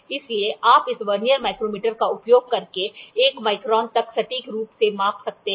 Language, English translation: Hindi, So, you can accurately measure up to 1 micron using this Vernier micrometer